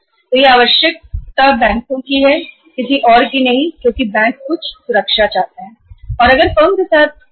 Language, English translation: Hindi, So this requirement is of the banks, not of anybody else because banks want some security that as and when our payment becomes due to be made then where is the security